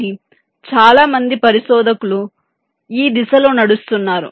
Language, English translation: Telugu, but of course many research us are walking in this direction